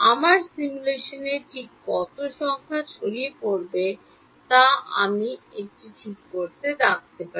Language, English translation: Bengali, I can put a check on how much numerical dispersion will be happening in my simulation ok